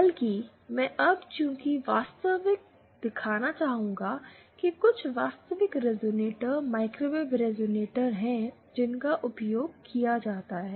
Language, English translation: Hindi, Rather, I would now like to show some actual, some of the actual resonators, microwave resonator is that are used